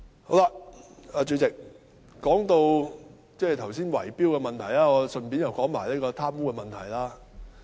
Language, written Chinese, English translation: Cantonese, 代理主席，剛才談到圍標問題，我又順道談談貪污的問題。, Deputy President having talked about bid - rigging just now let me also say something about corruption in passing